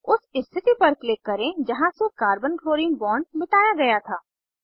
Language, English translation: Hindi, Click at the position from where Carbon chlorine bond was deleted